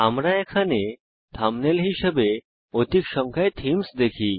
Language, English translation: Bengali, We see a large number of themes here as thumbnails